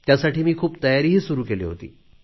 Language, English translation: Marathi, And I started preparing most thoroughly for that